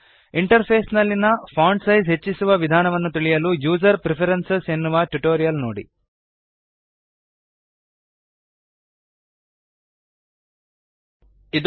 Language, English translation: Kannada, To learn how to increase the Interface font size please see the tutorial on User Preferences